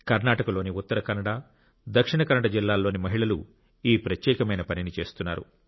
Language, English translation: Telugu, Women in Uttara Kannada and Dakshina Kannada districts of Karnataka are doing this unique work